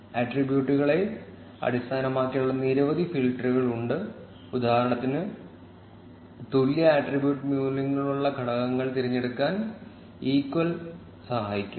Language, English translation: Malayalam, There are several filters based on attributes like, equal can help you select elements with particular attribute values